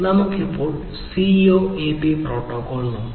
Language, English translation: Malayalam, So, let us now look at the CoAP protocol